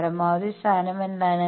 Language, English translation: Malayalam, What is the maxima position